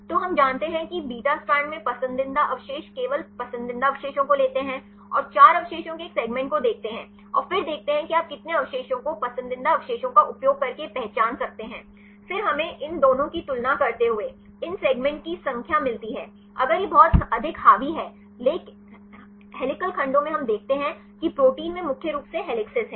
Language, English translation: Hindi, So, we know the preferred residues in beta strand take only preferred residues and see a segment of 4 residues and then see how many segments you can identify using preferred residues then we get the number of segments, comparing these two if it is highly dominated by helical segments we see the protein contains mainly helices